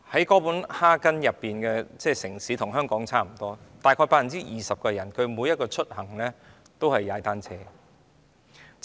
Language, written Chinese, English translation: Cantonese, 哥本哈根與香港相差不遠，但當地約 20% 的市民使用單車出行。, Copenhagen and Hong Kong do not differ much from each other . But 20 % of the formers population use bicycles as a means of transport